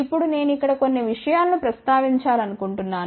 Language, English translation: Telugu, Now, I just want to mention a few things over here